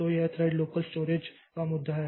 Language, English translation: Hindi, So, this is the issue of thread local storage